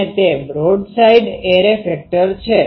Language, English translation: Gujarati, Now what is a broadside array